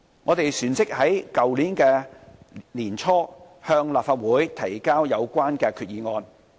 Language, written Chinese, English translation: Cantonese, 我們旋即於去年年初向立法會提交有關決議案。, Soon afterwards in early 2016 we tabled the relevant resolution to that effect at the Legislative Council accordingly